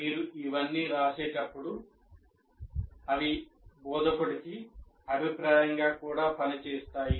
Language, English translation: Telugu, When you write all this, this feedback also acts as a feedback to the instructor